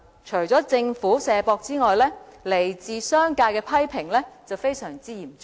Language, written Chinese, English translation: Cantonese, 除了政府"卸膊"外，來自商界的批評也非常嚴重。, In addition to the Governments attitude of shirking responsibilities the criticisms from the business sector are extremely severe